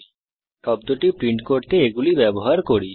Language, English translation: Bengali, Now let us use them to print the word